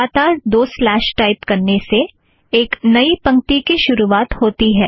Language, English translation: Hindi, Two consecutive slashes start a new line